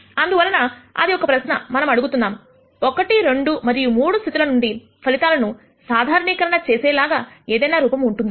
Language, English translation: Telugu, So, that is a question that we are asking, is there any form in which the results obtained from cases 1, 2 and 3 can be generalized